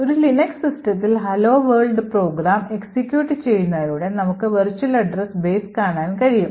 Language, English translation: Malayalam, On a Linux system, we would be able to look at the virtual address base by the hello world program is executing